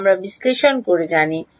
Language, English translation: Bengali, That we know analytically